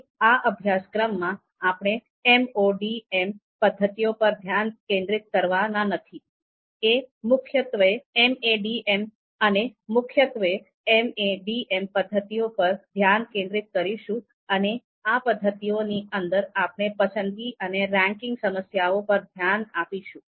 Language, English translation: Gujarati, So in this particular course, we are not going to focus on MODM methods, we will mainly focus on MADM MADM methods and within the MADM method, we will look to you know focus on choice and ranking problem